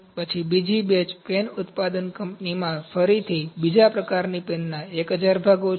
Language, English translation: Gujarati, Then second batch is again a 1,000 Pieces of second kind of pen, in a pen manufacturing company